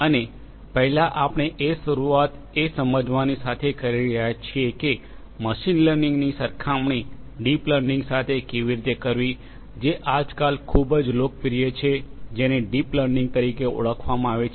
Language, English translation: Gujarati, And first we are going to start with understanding how machine learning compares with something very also very popular nowadays which is known as the deep learning